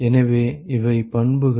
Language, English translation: Tamil, So, these are properties